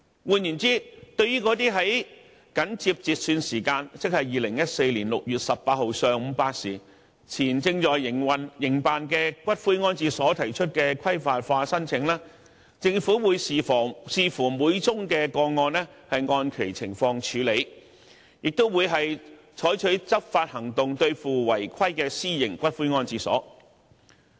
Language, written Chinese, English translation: Cantonese, 換言之，對於那些緊接截算時間，即2014年6月18日上午8時前正在營辦的骨灰安置所提出的規範化申請，政府會視乎每宗個案而按其情況處理，亦會採取執法行動對付違規的私營骨灰安置所。, In other words applications for regularization by private columbaria that were in operation immediately before the cut - off time of 8col00 am on 18 June 2014 will be processed on a case - by - case basis having regard to their individual merits and enforcement actions will also be taken against non - compliant columbaria by the Government